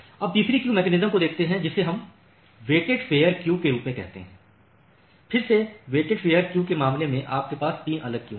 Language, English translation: Hindi, Now, let us see the third queuing mechanism which we call as the weighted fair queuing, again in the case of weighted fair queuing we have 3 different queues